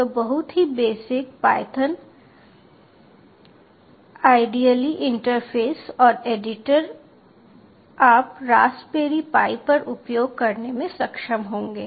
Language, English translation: Hindi, so the very basic python idle interface and editor you will be able to access on raspberry pi